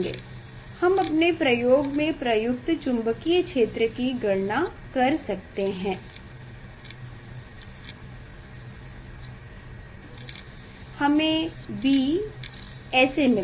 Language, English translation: Hindi, we can calculate the field apply to the to our experiment, B we will get this way